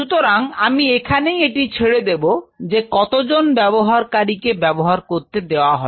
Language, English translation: Bengali, So, I will leave it up to the user how many designated users